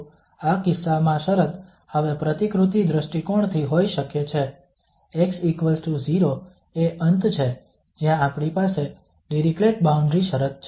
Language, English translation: Gujarati, So the situation in this case could be from the modeling point of view now, x equal to 0 this is the end where we have the Dirichlet boundary condition